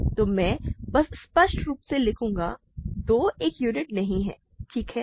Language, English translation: Hindi, So, I will simply write clearly 2 has, 2 is not a unit, ok